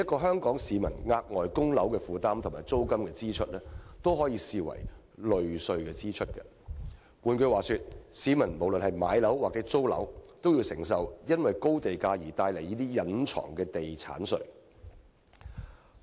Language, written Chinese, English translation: Cantonese, 香港市民額外的供樓負擔和租金支出，均可視為"類稅支出"；換言之，不論市民買樓或租樓，均需承受因高地價而帶來的"隱藏地產稅"。, Hence the extra burden of Hong Kong people in respect of mortgage repayment or rental payment can be viewed as a form of quasi - taxation . In other words regardless of whether members of the public are buying or renting a property they must pay a hidden property tax created by the high land premium